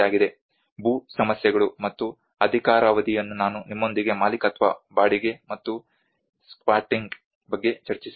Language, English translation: Kannada, Land issues and tenures that is what I just discussed with you the ownership, the renting, and the squatting